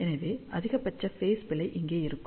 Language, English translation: Tamil, So, maximum phase error will come over here